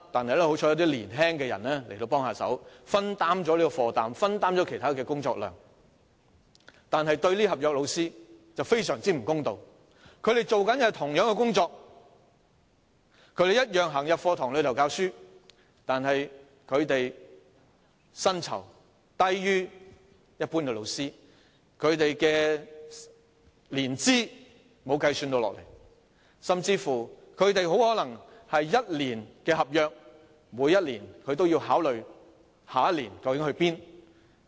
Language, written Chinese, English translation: Cantonese, 然而，這做法對這些合約教師卻非常不公道，因為他們的工作與一般教師相同，同樣在課室內教書，但薪酬卻低於一般教師，教學年資亦不作計算，甚至可能只獲得1年合約，每年都要考慮下一年究竟何去何從。, Yet this approach is most unfair to these teachers on contract terms because their work is the same as that of regular teachers . They do the same teaching work in classrooms but their salaries are lower than those of regular teachers and their years of teaching experience do not count either . Worse still they may even be offered a one - year contract only and every year they have to think about where to go next year